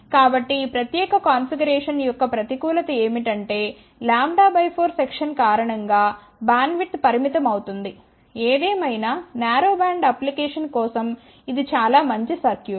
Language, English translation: Telugu, So, the disadvantage of this particular configuration is that due to lambda by 4 section bandwidth is limited ; however, for narrow band application it is a fairly good circuit